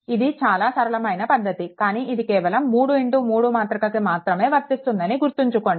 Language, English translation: Telugu, It is a very it is a very simple thing, but remember it is only true for 3 into 3 matrix